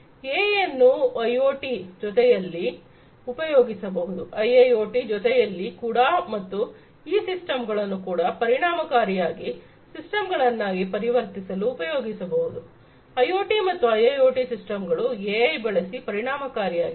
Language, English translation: Kannada, AI can be used in along with IoT, along with IIoT and also to transform these systems into efficient systems; IoT systems and IIoT systems efficient using AI